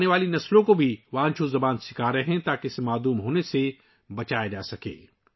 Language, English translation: Urdu, He is also teaching Wancho language to the coming generations so that it can be saved from extinction